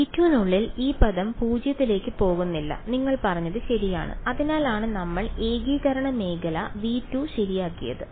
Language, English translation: Malayalam, Inside v 2 this term does not go to 0 you are right this that is why we have made the region of integration only v 2 ok